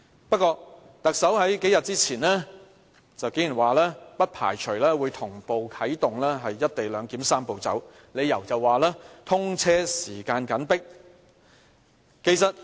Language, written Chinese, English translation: Cantonese, 不過，特首數天前竟然說，不排除會同步啟動"一地兩檢""三步走"，理由是通車時間緊迫。, Surprisingly the Chief Executive told us several days ago that she did not rule out the possibility of kicking start the Three - step Process of the co - location arrangement in parallel as time for the XRL commissioning is running out